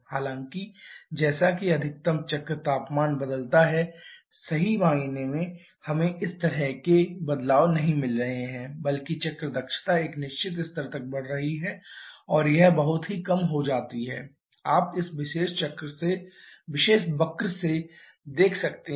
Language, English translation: Hindi, However as the maximum cycle temperature changes truly speaking we are not getting such change rather cycle efficiency keeps on increasing till a certain level and that decreases very prominently you can see from this particular curve